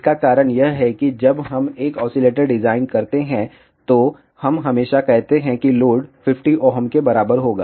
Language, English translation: Hindi, The reason for that is invariably when we design an oscillator, we always say that the load will be equal to 50 ohm